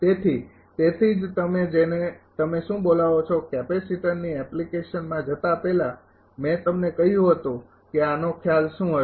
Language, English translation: Gujarati, So, that is why before your what you call going to the application of capacitor this much I told you that will be the concept